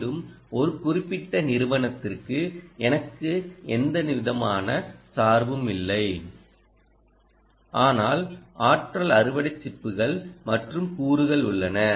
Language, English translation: Tamil, again, i have no bias for a particular company, but just that ah energy harvesting chips and components